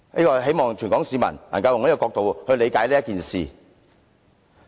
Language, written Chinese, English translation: Cantonese, 我希望全港市民都能以這角度理解此事。, I hope that all Hong Kong people can understand this matter from this perspective